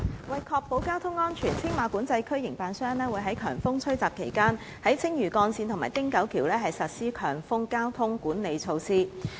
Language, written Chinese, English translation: Cantonese, 為確保交通安全，青馬管制區營辦商會於強風吹襲期間在青嶼幹線及汀九橋實施強風交通管理措施。, To ensure road safety the Tsing Ma Control Area operator implements high wind management measures at the Lantau Link and the Ting Kau Bridge during strong wind conditions